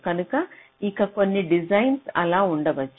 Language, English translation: Telugu, so some design may be like that